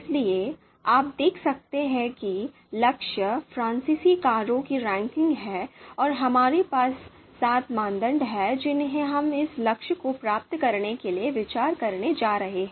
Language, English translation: Hindi, So you can see here goal is ranking of French cars and criteria, we have seven criteria that we are going to consider to you know achieve this goal